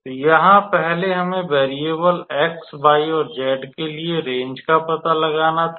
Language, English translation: Hindi, So, here first we had to find out the range for the variable x, y, and z